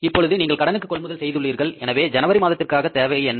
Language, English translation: Tamil, Now you have purchased on credit credit and whatever is the requirement of the January